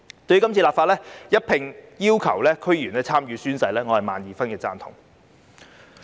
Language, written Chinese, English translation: Cantonese, 對於今次立法要求區議員一併進行宣誓，我表示萬二分贊同。, I fervently support the legislative amendments to require DC members to take the oath as well